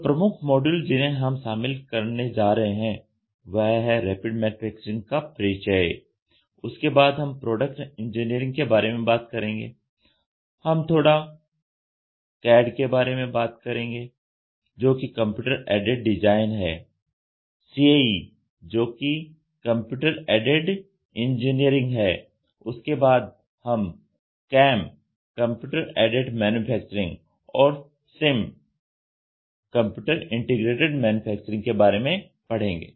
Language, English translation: Hindi, So, the major modules which we are going to cover in this is going to be introduction to Rapid Manufacturing, then we will talk about product engineering we will talk little bit about CAD which is Computer Aided Design slash CAE which is Computer Aided Engineering then we will study about CAM, CAM Computer Aided Manufacturing and Computer Integrated Manufacturing